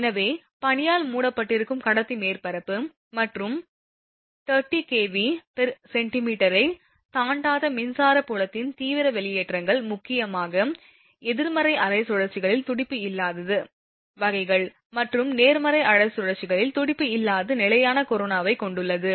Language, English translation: Tamil, So, corona discharges with conductor surface covered with snow and electric field intensity not exceeding 30 kilovolt per centimetre consists mainly of pulses in negative half cycles and pulseless steady corona at positive half cycles